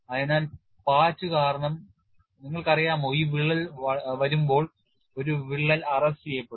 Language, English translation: Malayalam, So, because of the patch you know when the crack has come to this you will have a crack getting arrested